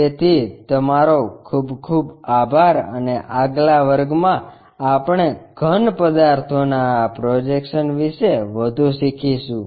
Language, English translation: Gujarati, So, thank you very much and in the next class we will learn more about this projection of solids